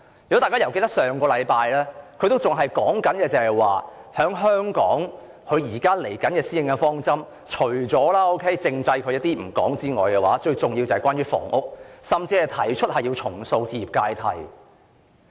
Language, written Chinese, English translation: Cantonese, 如果大家記得，上星期她仍然表示，她對香港的施政方針——撇開政制不談——最重要的是關於房屋，甚至提出要重塑置業階梯。, Members may recall that last week she still said that among her policy objectives for Hong Kong aside from constitutional development the most important one was housing and she even proposed rebuilding the housing ladder